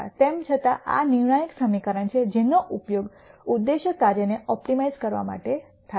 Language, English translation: Gujarati, Nonetheless this is the critical equation which is used to optimize an objective function